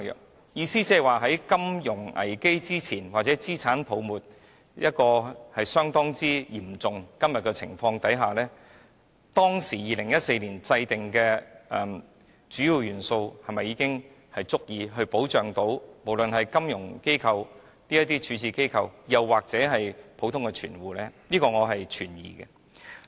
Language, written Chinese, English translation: Cantonese, 我的意思是，在金融危機出現之前或在今天資產泡沫相當嚴重的情況之下 ，2014 年制訂的主要元素是否已經足以保障金融機構或普通的存戶呢？, What I mean is before the emergence of a financial crisis or when an asset bubble has become very serious now do the Key Attributes formulated in 2014 already suffice for protecting financial institutions or ordinary depositors?